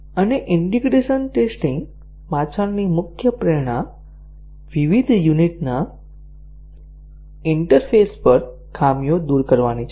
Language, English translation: Gujarati, And, the main motivation behind integration testing is to remove the faults at the interfaces of various units